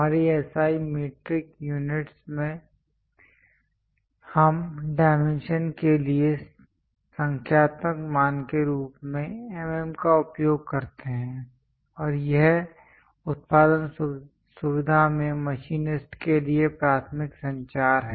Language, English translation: Hindi, In our SI metric units, we use mm as numerical value for the dimension and this is the main communication to machinists in the production facility